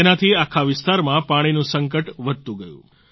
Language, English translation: Gujarati, This led to worsening of the water crisis in the entire area